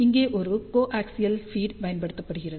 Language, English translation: Tamil, Here a coaxial feed is used